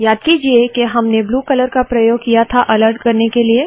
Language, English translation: Hindi, Recall that we used the blue color for alerting